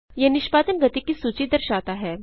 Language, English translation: Hindi, It shows a list of execution speeds